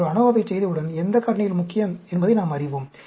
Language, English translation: Tamil, Once we perform an ANOVA, we will know which factors are important